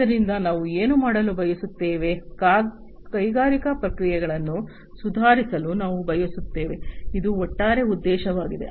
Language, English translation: Kannada, So, we want to do what, we want to improve industrial processes this is the overall objective